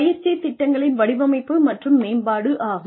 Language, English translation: Tamil, Design and development of training programs